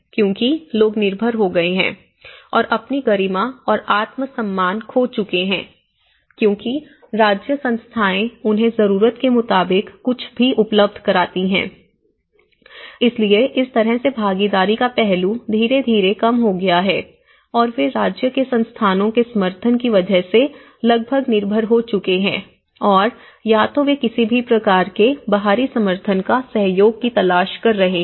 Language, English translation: Hindi, Because people have become dependent and have lost their dignity and self esteem because state institutions have been providing them whatever they need it, so in that way that participation aspect have gradually come down and they are almost becoming mostly dependent yes on the state institutions support and either they are looking for any kind of external support or a cooperation